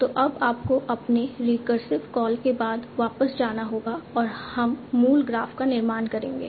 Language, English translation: Hindi, So now you have to go back up your recursive call and reconstruct the original graph